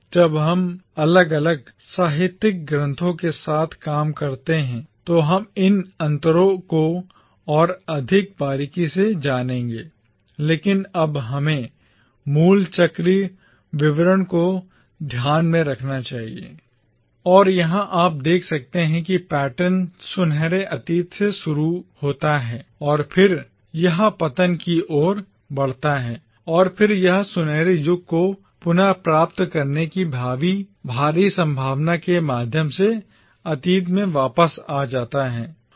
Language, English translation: Hindi, Now, we will explore these differences more closely when we deal with individual literary texts but for now we should keep in mind the basic cyclical pattern: And, here you can see the pattern starts with the golden past and then it proceeds to the fall and then it loops back to the past through a future possibility of recovering the golden age